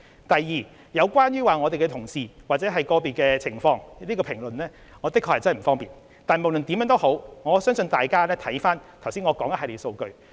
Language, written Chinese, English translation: Cantonese, 第二，有關我們的同事或個別個案的情況，我確實不方便作出評論，但不論如何，相信大家可以參考我剛才提出的一系列數據。, Secondly in relation to the circumstances of our colleagues or those of individual cases it is really inappropriate for me to comment . However I believe Members can refer to the figures mentioned by me earlier